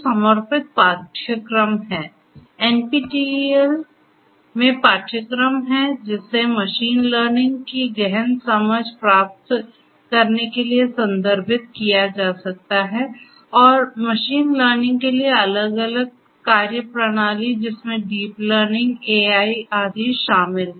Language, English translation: Hindi, There are dedicated courses; courses in NPTEL which could be referred to for getting in depth understanding of machine learning and the different methodologies for machine learning including deep learning, AI and so on